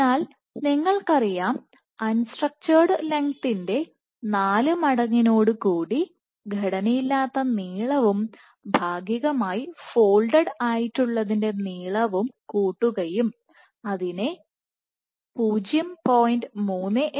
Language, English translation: Malayalam, So, you know that 4 times unstructured length plus partially folded length into 0